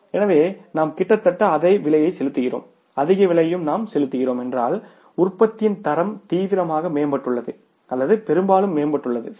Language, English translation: Tamil, So we are almost paying the same price and if we are paying the higher price also the quality of the product has seriously improved or largely improved, right